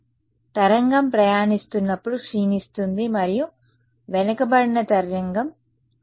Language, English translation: Telugu, So, decays as wave travels and the backward wave plus k prime x